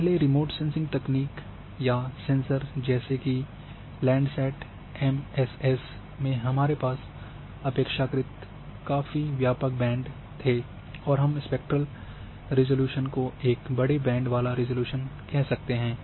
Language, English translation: Hindi, In earlier remote sensing technique like or sensors like landsetmss we had relatively quiet broad band and we say coarser spectral resolution, so number of bands have been increased